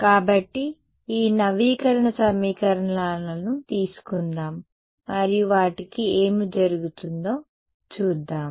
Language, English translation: Telugu, So, let us take let us take these update equations and see what happens to them ok